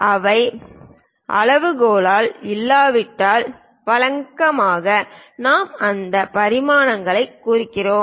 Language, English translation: Tamil, If those are not to up to scale then usually, we represent those dimensions